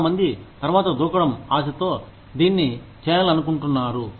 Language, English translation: Telugu, A lot of people, in the hope of getting a jump later, will want to do this